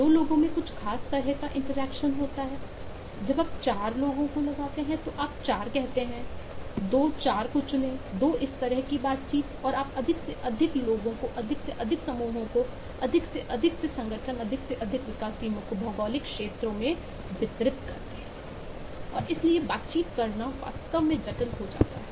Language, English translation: Hindi, when you put 4 people you get 4, say 2, 4 choose 2 kind of interactions and you have more and more people, more and more groups, more and more organizations, more and more distributed development teams across geographies and so on